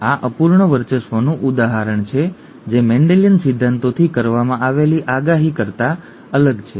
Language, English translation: Gujarati, This is an example of incomplete dominance which is different from that predicted from Mendelian principles